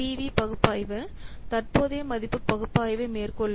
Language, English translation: Tamil, So, what do you mean by present value analysis